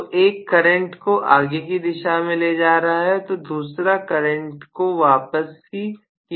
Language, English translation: Hindi, So one is carrying the current in forward direction, the other one is carrying the current in the return direction